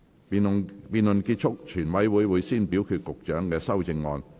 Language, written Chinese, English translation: Cantonese, 辯論結束後，全委會會先表決局長的修正案。, Upon the conclusion of the debate the committee will first vote on the Secretarys amendments